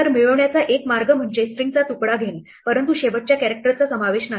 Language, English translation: Marathi, So, one way to get is just to take slice of the string up to, but not including the last character